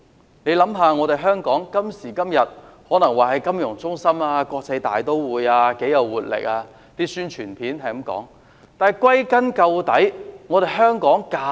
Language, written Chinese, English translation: Cantonese, 今時今日的香港可說是金融中心、國際大都會，是一個很有活力的城市，宣傳片也是這樣說。, Hong Kong is a financial centre an international metropolis and a vibrant city . Even those promotion videos say so